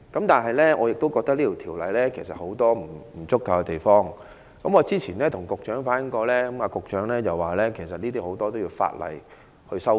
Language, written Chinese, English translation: Cantonese, 但是，我覺得條例有很多不足的地方，我早前跟局長反映過，局長表示該條例有很多地方都需要修改。, However I think there are a number of inadequacies in the relevant ordinance . I have expressed this view to the Secretary and he said amendments were needed in many aspects of the ordinance